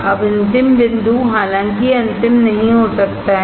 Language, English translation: Hindi, Now final point; it may not be final though